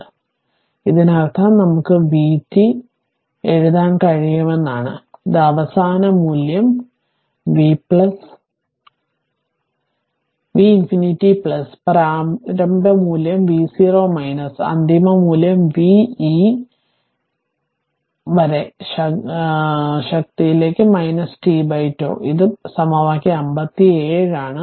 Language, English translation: Malayalam, So, that means this one we can write the v t is equal to v infinity, this is the final value v infinity plus initial value that is v 0 minus final value v infinity into e to the power minus t by tau, this is equation 57 right